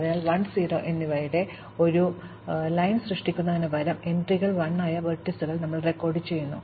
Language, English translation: Malayalam, So, instead of keeping a row of 1’s and 0’s, we just record those vertices, whose entries are 1